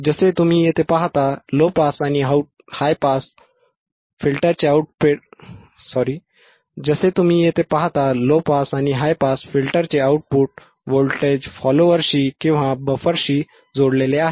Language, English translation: Marathi, This output of the low pass and high pass filter is connected to the buffer to the voltage follower or to the buffer as you see here